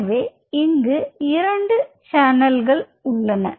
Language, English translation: Tamil, So, we are having 2 channels now right